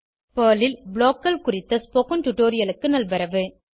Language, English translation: Tamil, Welcome to the spoken tutorial on BLOCKS in Perl